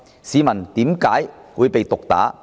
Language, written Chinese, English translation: Cantonese, 市民為何會被毒打呢？, Why were civilians beaten up?